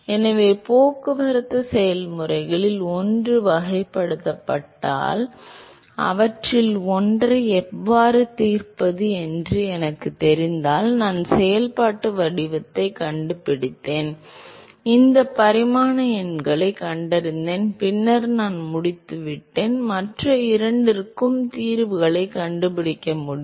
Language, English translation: Tamil, So, if one of the transport processes is characterized if I know how to solve one of them and I found the functional form and I found this dimensional numbers then I am done I should be able to find the solutions for the other two